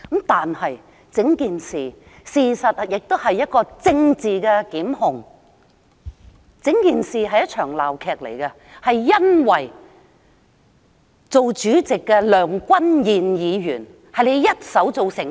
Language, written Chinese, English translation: Cantonese, 但整件事，事實上亦是一場政治檢控，整件事是一場鬧劇，是由主席梁君彥議員一手做成。, That said this entire incident was in fact a political prosecution and a farce caused by the President Mr Andrew LEUNG